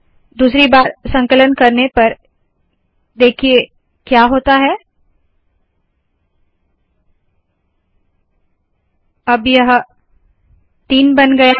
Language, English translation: Hindi, On second compilation see what happens here – now it has become three